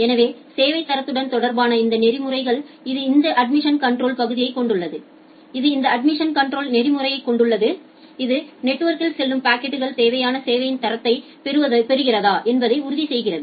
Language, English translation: Tamil, So, this quality of service associated protocols, it has this admission control part, it has this admission control protocol it ensures that the packet, which are which are going inside the network the meets the required quality of service